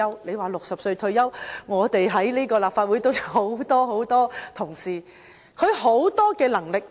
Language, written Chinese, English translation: Cantonese, 說到60歲退休，我們立法會都有很多同事......, Speaking of retiring at 60 many Members in the Legislative Council still very competent they are really talents who retire relatively early